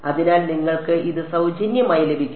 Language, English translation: Malayalam, So, you get it for free